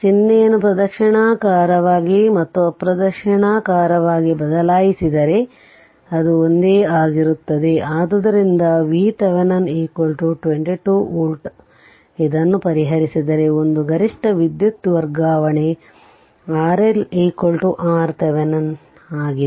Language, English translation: Kannada, If you change the sign clockwise and anticlockwise same thing right; so with this you solve V Thevenin is equal to 22 volt therefore, 1 maximum power transfer R L is equal to R thevenin